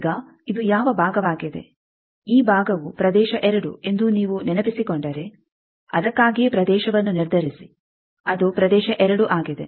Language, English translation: Kannada, Now this is which part, if you remember that this part is region 2 that is why determine the region, it is region 2